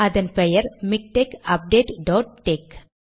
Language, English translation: Tamil, And the file is called MikTeX update dot tex